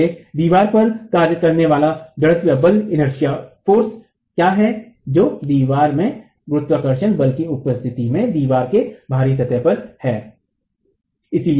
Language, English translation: Hindi, So the inertial force acting on the wall is what is the out of plane load acting on the wall in the presence of the gravity force in the wall itself